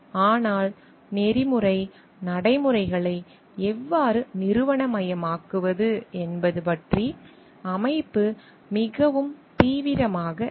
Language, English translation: Tamil, But the organization is not very serious about like how to institutionalize the ethical practices